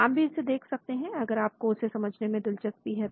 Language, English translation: Hindi, You can have a look at it if you are interested to understand more of that